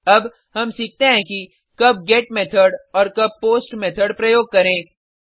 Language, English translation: Hindi, Now, let us learn when to use GET and when to use POST Methods